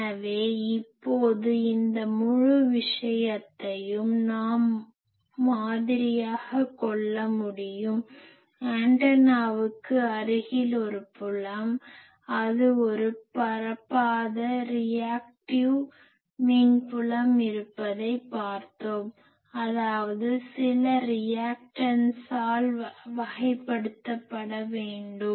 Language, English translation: Tamil, So, now we should be able to model this whole thing; also we have seen that near the antenna there is a field which is not propagating it is a reactive field; that means, it should be characterized by some reactance